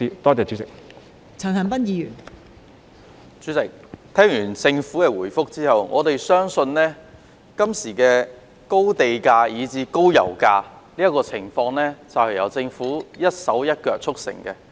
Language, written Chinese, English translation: Cantonese, 代理主席，聽完政府的主體答覆後，我們相信今天的高地價、以至高油價問題，是由政府一手促成的。, Deputy President after listening to the main reply of the Government we believe that the Government is solely to blame for the problem of high land premium and the problem of high pump prices today